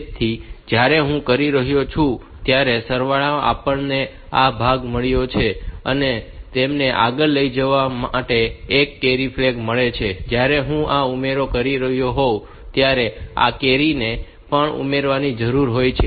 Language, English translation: Gujarati, So, in the sum when I am doing it, so, I have got this part and it has got a carry to be propagated and while I am doing this addition this carry also needs to be added